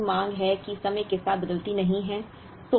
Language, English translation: Hindi, Here you have demand that does not vary with time